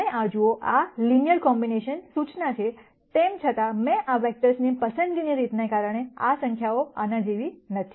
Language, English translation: Gujarati, So, if you look at this, this is the linear combination notice; however, because of the way I have chosen these vectors, these numbers are not the same as this